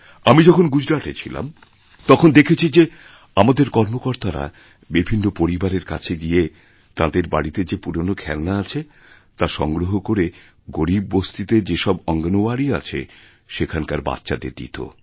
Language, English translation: Bengali, When I was in Gujarat, all our workers used to walk the streets seeking donations of old toys from families and then presented these toys to Anganwadis in poor neighbourhoods